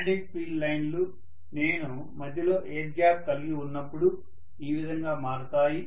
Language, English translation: Telugu, So this is how the magnetic field lines are going to take shape whenever I have an intervening air gap